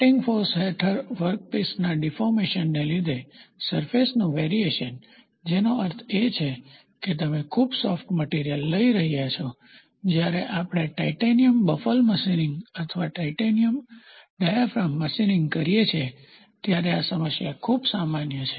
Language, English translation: Gujarati, The surface variation caused by the deformations of the workpiece under the action of cutting forces that means, to say you are taking a very soft material, this problem is very common when we do titanium baffle machining or titanium diaphragm machining